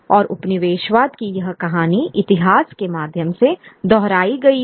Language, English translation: Hindi, And this story of colonialism was repeated in a through history